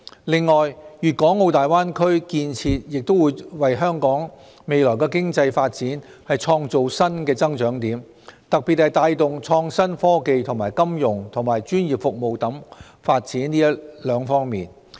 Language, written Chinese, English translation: Cantonese, 另外，粵港澳大灣區建設亦會為香港未來經濟發展創造新的增長點，特別是帶動創新科技及金融和專業服務發展這兩方面。, Moreover the Greater Bay Area development will create new areas of growth for the future economic development of Hong Kong . In particular it will stimulate the development in two areas namely innovation and technology and financial and professional services